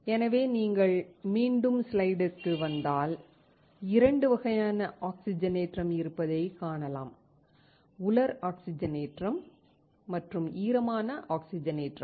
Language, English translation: Tamil, So, if you come back to the slide you see that there are 2 types of oxidation; dry oxidation and wet oxidation